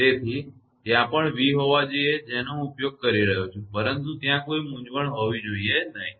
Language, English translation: Gujarati, So, there should be v also I am using, but should there should not be any confusion right